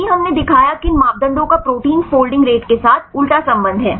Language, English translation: Hindi, If we showed that these parameters right have inverse relationship with the protein folding rates